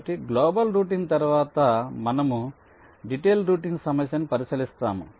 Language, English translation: Telugu, so, after global routing, we consider the problem of detailed routing